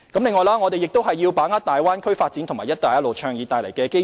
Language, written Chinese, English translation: Cantonese, 此外，我們亦要把握大灣區發展及"一帶一路"倡議帶來的機遇。, Furthermore we also have to seize the opportunities arising from the Bay Area development and the national Belt and Road Initiative